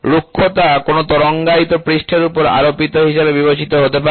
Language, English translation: Bengali, Roughness may be considered to be superimposed on a wavy surface